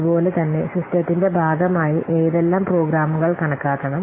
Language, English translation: Malayalam, So, what programs will be counted as part of the system